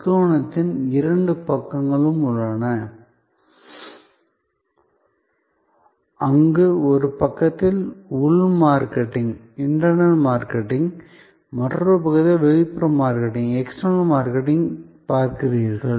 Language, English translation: Tamil, There are two sides of the triangle, where on one side you see internal marketing on the other side you see external marketing